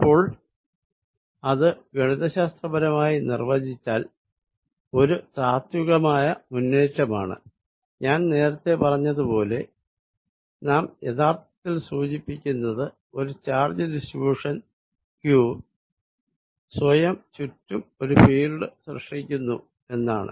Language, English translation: Malayalam, So, that is the way I am defining it mathematically, but conceptually is a advance, as I said, what we are actually suggesting is, given a charge distribution q, it is creating a field around itself